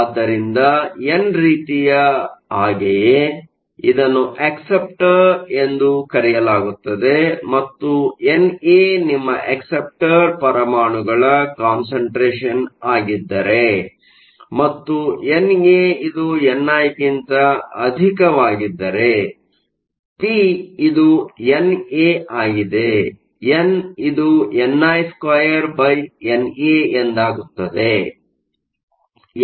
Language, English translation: Kannada, So, it is called an acceptor and just the same way with n type, if N A is your concentration of acceptor atoms and N A is much greater than n i will find that p is N A, n is n i square over N A